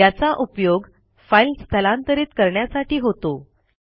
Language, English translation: Marathi, This is used for moving files